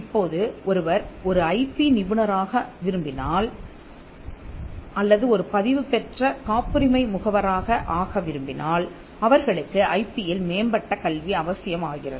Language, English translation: Tamil, Now, if somebody wants to become an IP professional or even become a registered patent agent they would require advanced education in IP